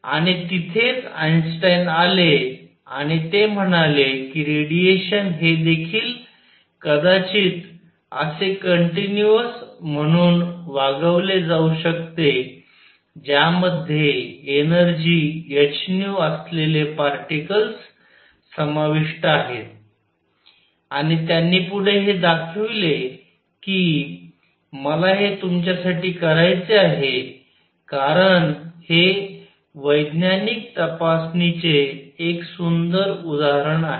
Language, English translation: Marathi, And that is where Einstein came in and he said may be radiation should also be treated as this continuous containing particles of energy h nu and he went on to show this I want to do it for you, because this is a beautiful piece of scientific investigation